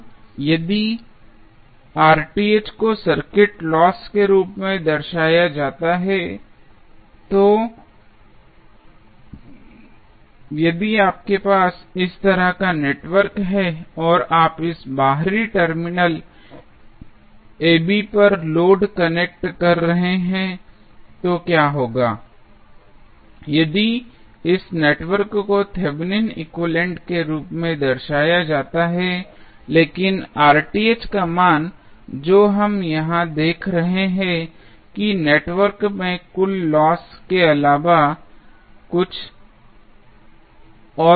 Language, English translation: Hindi, Now, if Rth is represented as loss of the circuit, so, what happens if you have the network like this and you are connecting load to this external terminal AB if this network is represented as Thevenin equivalent, but, the value of Rth which we are seeing here is nothing but total loss which is there in the network